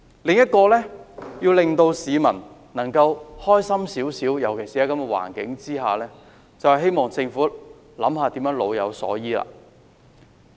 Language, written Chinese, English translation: Cantonese, 另一個可以令市民稍為開心的做法，尤其是在這種環境下，就是政府要想想如何老有所依。, Another way to make people slightly happier especially considering the present social situation is that the Government has to figure out how to enable elderly people to have a worry - free old age